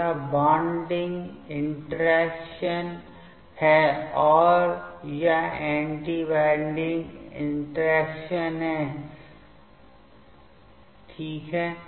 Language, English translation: Hindi, So, this is the bonding interaction, and this is the anti bonding interaction ok